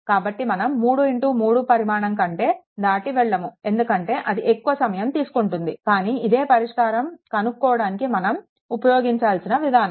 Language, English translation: Telugu, So, not will not go beyond 3 into 3, because it will take more time, but this is a methodology that how to find out